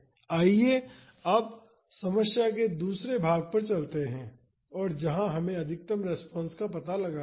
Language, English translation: Hindi, Now, let us move on to the second part of the problem and where we have to find out the maximum response